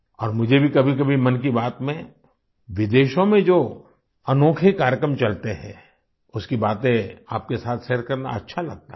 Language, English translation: Hindi, And I also like to sometimes share with you the unique programs that are going on abroad in 'Mann Ki Baat'